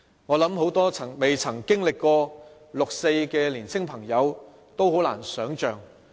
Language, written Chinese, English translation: Cantonese, 我想很多沒有經歷過六四的年青朋友是很難想象的。, I think it is unimaginable to many young people who did not experience the 4 June incident